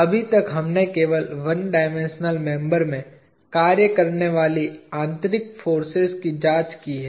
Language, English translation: Hindi, So far we have just examined the internal forces acting in a one dimensional member